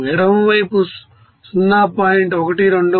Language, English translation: Telugu, And in the left side 0